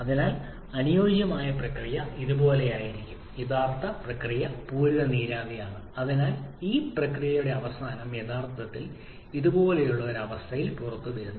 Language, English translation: Malayalam, So the ideal process will be somewhat like this and actual process is that of saturated vapor that is at the end of this process actually it is coming out at a condition like this